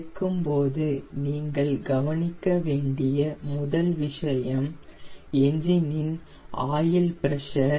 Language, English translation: Tamil, the very first thing you have to watch for when you switch on the engine is the oil pressure